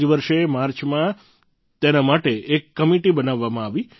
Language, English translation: Gujarati, This very year in March, a committee was formed for this